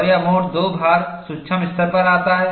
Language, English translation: Hindi, And, this mode 2 loading comes at the microscopic level